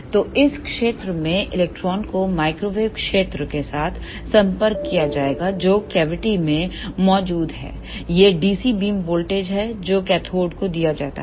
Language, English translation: Hindi, So, in this ah region electrons will be interacted with the microwave field present there in the cavity this is the dc beam voltage which is given to the cathode